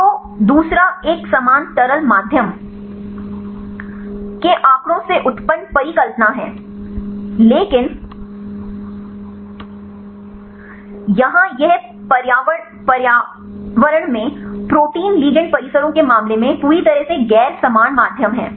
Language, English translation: Hindi, So, second one is the hypothesis originated from the statistics of the uniform liquid medium, but here this is totally non uniform medium right in the case of the protein ligand complexes right in the environment